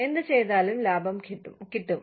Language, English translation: Malayalam, Whatever we do, will bring profits